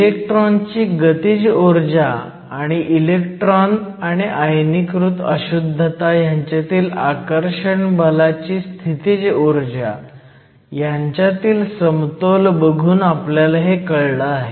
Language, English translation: Marathi, This we got by looking at the balance between the kinetic energy of the electron and the potential energy of attraction between the electron and the ionized impurity